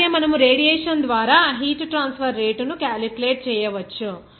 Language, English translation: Telugu, Also, we can calculate the rate of heat transfer by radiation